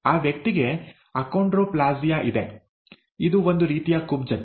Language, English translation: Kannada, , that person, has Achondroplasia; it is a type of dwarfism